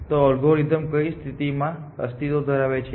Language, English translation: Gujarati, So, under what conditions will this algorithm